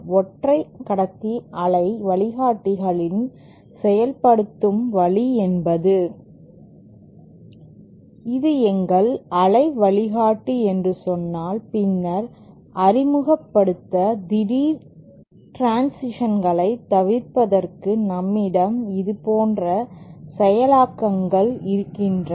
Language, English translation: Tamil, In single conductor waveguides, the way implementation is made is, say this is our waveguide, then to introduce, to avoid having abrupt transitions, we can have implementations like this